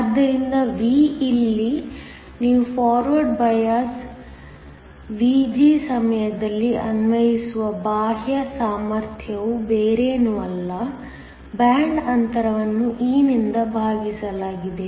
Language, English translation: Kannada, So, V here is the external potential that you apply during forward bias Vg is nothing but, the band gap divided by e